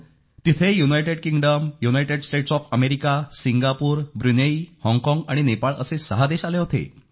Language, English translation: Marathi, Six countries had come together, there, comprising United Kingdom, United States of America, Singapore, Brunei, Hong Kong & Nepal